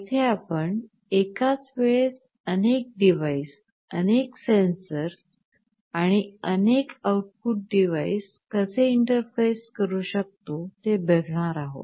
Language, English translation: Marathi, Here we shall basically be looking at how to interface multiple devices, multiple sensors and multiple output devices